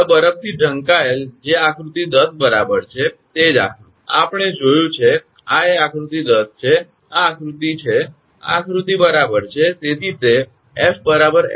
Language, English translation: Gujarati, Now with ice covered that is figure 10 right, the same figure, this we have seen this one, this one this is figure 10, this figure, this figure right